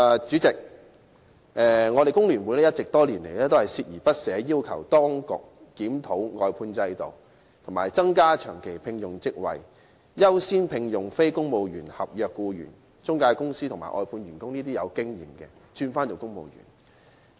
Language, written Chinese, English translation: Cantonese, 主席，香港工會聯合會多年來一直鍥而不捨，要求當局檢討外判制度，以及增加長期職位，優先聘用非公務員合約僱員，並把具經驗的中介公司和外判員工轉為公務員。, President over the years the Hong Kong Federation of Trade Unions FTU has been making persistent efforts in demanding the authorities to review the outsourcing system creating additional permanent posts according priority to the employment of non - civil service contract staff and converting experienced intermediaries and outsourced staff to civil servants